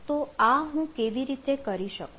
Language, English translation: Gujarati, so how can i do it